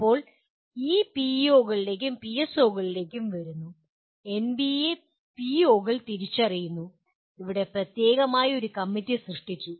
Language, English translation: Malayalam, Now, coming to this POs and PSOs; NBA identifies the POs and here there is a committee specifically created